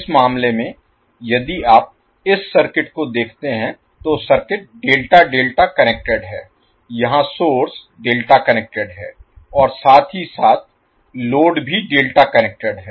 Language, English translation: Hindi, So in this case if you see this particular circuit, the circuit is delta delta connected here the source is delta connected as well as the load is delta connected